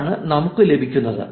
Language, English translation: Malayalam, That is we get